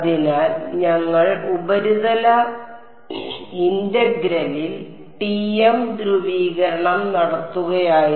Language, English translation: Malayalam, So, we were doing TM polarization in surface integral